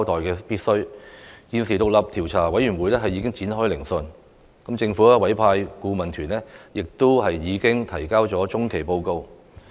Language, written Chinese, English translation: Cantonese, 現時獨立調查委員會已展開聆訊，政府委派的顧問團亦提交了中期報告。, Now the Commission has commenced its hearing . The Expert Adviser Team appointed by the Government has also submitted an interim report